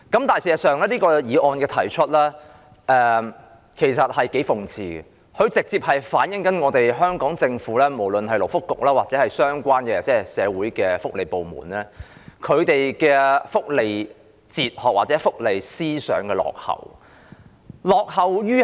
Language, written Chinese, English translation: Cantonese, 但事實上，提出這項議案是頗諷刺的，這直接反映香港政府，無論是勞工及福利局或相關的社會福利部門的福利哲學或思想的落後。, Having said that it is actually quite ironic for this motion to have been proposed in the first place . This is a direct reflection of the outdated welfare philosophy or mentality of the Hong Kong Government whether it be the Labour and Welfare Bureau or the social welfare departments concerned